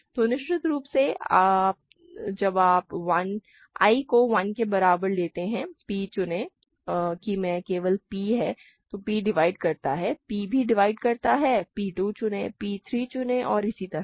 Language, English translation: Hindi, So, of course, when you take i equal to 1, p choose i is just p so p divides that, p also divides p choose 2, p choose 3 and so on